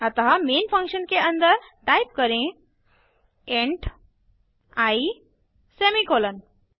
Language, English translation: Hindi, So Inside the main function, type int i semicolon